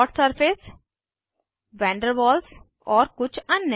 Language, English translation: Hindi, Dot Surface van der Waals and some others